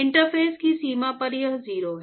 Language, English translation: Hindi, At the boundary at the interface it is 0